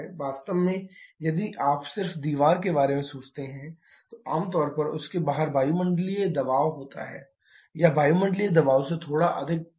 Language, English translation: Hindi, In fact, if you just think about the wall generally outside you have atmospheric pressure or slightly higher than atmospheric pressure